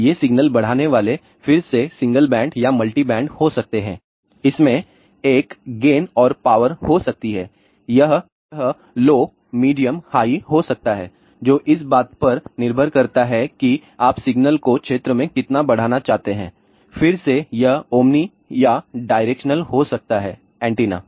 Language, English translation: Hindi, Now, these signal enhancers again can be a single band or multi band, it can have a gain and power it can be low medium high depending upon in how much area you want to amplify the signal, again it may have omni or directional antenna